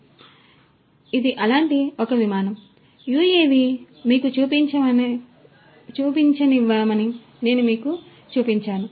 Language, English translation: Telugu, So, this is one such flight that, I showed you let me show you that UAV you know